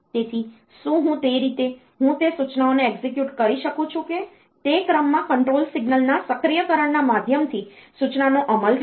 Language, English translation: Gujarati, So, that way I can execute those instructions whether that the instruction gets executed by means of that activation of control signals in sequence